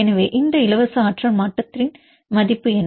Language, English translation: Tamil, So, what is the value of this free energy change